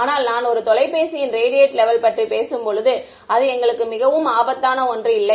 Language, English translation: Tamil, But when I am talking about the radiation levels from a phone it is ok, it is not something very dangerous for us